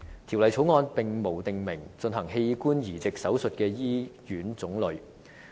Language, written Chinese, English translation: Cantonese, 《條例草案》並無訂明進行器官移植手術的醫院種類。, The Bill does not stipulate the types of hospitals in which organ transplants are to be carried out